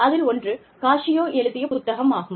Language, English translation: Tamil, The first one is, of course, Cascio